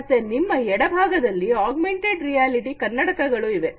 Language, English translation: Kannada, So, on the left hand side we have the augmented reality eyeglasses